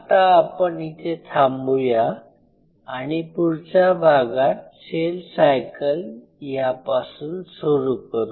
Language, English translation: Marathi, So, I will close in here in the next class we will start off with the cell cycle